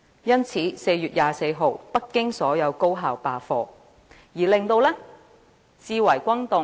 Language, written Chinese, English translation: Cantonese, 因此，在4月24日，北京所有高校罷課，至為轟動。, Hence on 24 April all high schools in Beijing staged a class boycott which made a stir